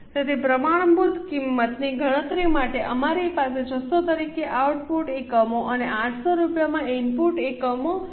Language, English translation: Gujarati, So, for calculating the standard cost, we have written output units as 600 and input units as 780 at 8 rupees